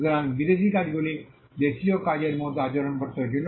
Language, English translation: Bengali, So, foreign works had to be treated as per like domestic works